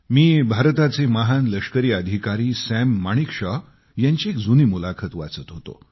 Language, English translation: Marathi, I was reading an old interview with the celebrated Army officer samManekshaw